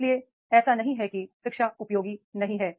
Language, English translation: Hindi, So, therefore it is not that education is not useful